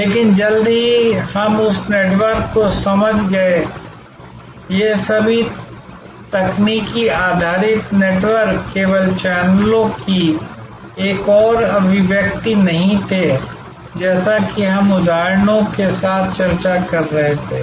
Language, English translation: Hindi, But, soon we understood that network, all these technology based networks were not just another manifestation of channels as we were discussing with examples